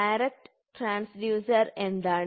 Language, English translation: Malayalam, So, what is the secondary transducer